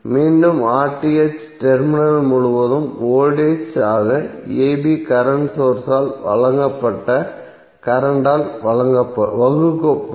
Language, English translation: Tamil, The voltage across terminals a b divided by the current supplied by current source